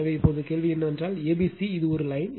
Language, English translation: Tamil, So, now question is that a b c this is a dash line